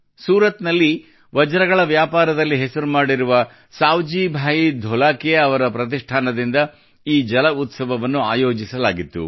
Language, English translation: Kannada, This water festival was organized by the foundation of SavjibhaiDholakia, who made a name for himself in the diamond business of Surat